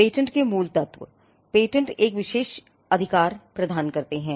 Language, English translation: Hindi, Fundamentals of Patents; patents offer an exclusive monopoly right